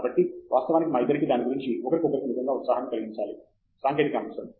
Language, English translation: Telugu, So, actually both of us have to really spur excitement in each other about that technical topic